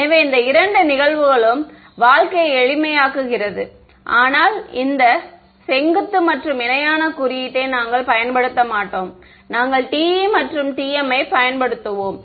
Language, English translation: Tamil, So, it makes life simple also this is the two cases, but we will not use this perpendicular and parallel notation, we will just use TE TM ok